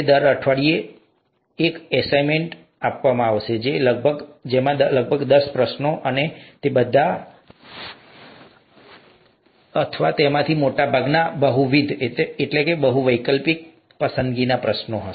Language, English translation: Gujarati, There will be an assignment every week, typically about ten questions, and all of them or most of them would be multiple choice questions